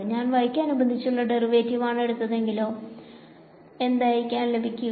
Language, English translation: Malayalam, So, let us take the derivative of this with respect to x what will I get